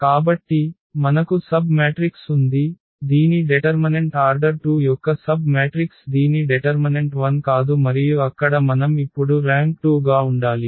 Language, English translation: Telugu, So, we have a submatrix whose determinant the submatrix of order 2 whose determinant is not 0 and there we can decide now the rank has to be 2